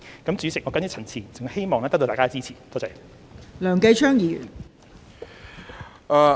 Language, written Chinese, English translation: Cantonese, 代理主席，我謹此陳辭，希望得到大家的支持，多謝。, Deputy Chairman with these remarks I hope to get the support of fellow members . Thank you . the amendments proposed by the Secretary